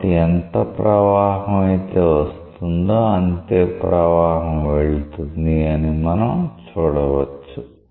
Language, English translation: Telugu, So, you see that whatever flow is entering the same flow is leaving